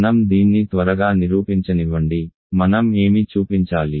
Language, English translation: Telugu, So, let me quickly prove this, what do we have to show